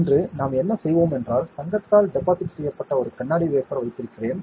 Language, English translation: Tamil, Today, what we will do is, I had we had a glass wafer that was deposited with gold, ok